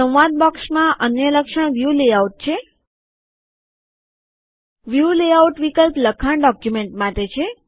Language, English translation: Gujarati, Another feature in the dialog box is the View layout The View layout option is for text documents